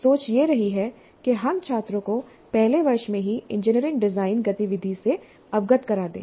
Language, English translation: Hindi, So the thinking has been that we should expose the students to the engineering design activity right in first year